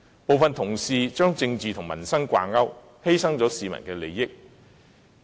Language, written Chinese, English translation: Cantonese, 部分同事把政治與民生掛鈎，犧牲市民利益。, Some colleagues have linked politics with the peoples livelihood at the expense of public interest